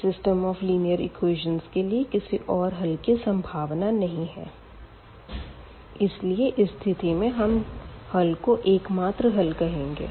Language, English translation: Hindi, So, there is no other possibility to have a solution for this given system of equations and this is what we call the case of a unique solution